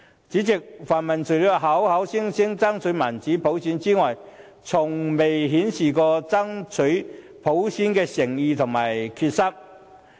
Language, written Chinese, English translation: Cantonese, 主席，泛民除了口說要爭取民主普選外，從未顯示過爭取普選的誠意和決心。, President apart from paying lip service the pan - democrats have never demonstrated any sincerity and determination in their fight for universal suffrage